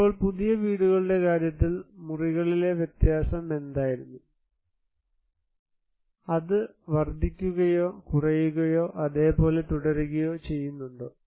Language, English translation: Malayalam, Now, what was the variation in the rooms in case of new houses, is it increased, decreased, remain same